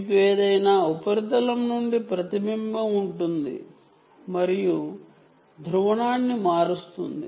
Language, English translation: Telugu, you will have reflection from any surface and all that which will change the polarization